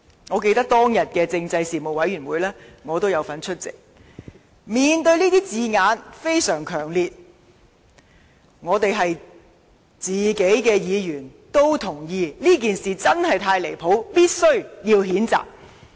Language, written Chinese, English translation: Cantonese, 我記得我亦有出席當天的政制事務委員會特別會議，面對這些相當強烈的字眼，委員們也同意，這事件確實太過分，必須予以譴責。, I also attended that special meeting of the Panel . I recalled that when seeing these strong words members of the Panel also agreed that the incident was indeed very absurd and must be condemned . People in the Bureau know us well